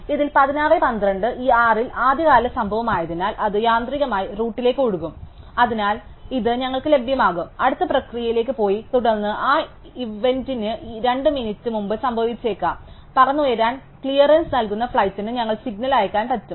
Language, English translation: Malayalam, And so in this, because 16:12 happens to be the earliest event among these 6, it will automatically float up to the route and so it will be available to us is the next event to the process and then maybe 2 minutes before that event may happens, we get send signal to the flight giving a clearance to take off